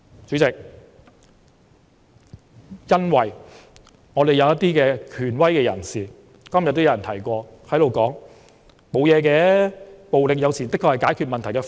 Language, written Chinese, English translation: Cantonese, 主席，正如今天也有人提到，因為有權威人士說："沒甚麼，暴力有時的確是解決問題的方法。, President as mentioned by someone today a certain person in authority said It does not matter . Sometimes violence is indeed the solution to certain issues